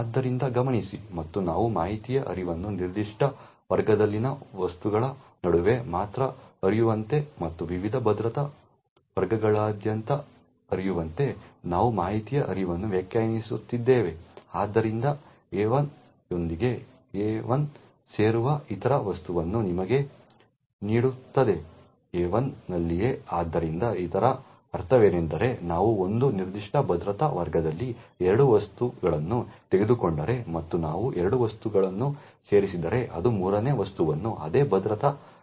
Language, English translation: Kannada, So note and we are defining the information flow in such a way that information can flow only between objects in a specific class and not across different security classes, we also hence define the join relation as follows where AI joins with AI will give you other object in AI itself, so what it means is that if we take two objects in a certain security class and we join is two objects it would create a third object the same security class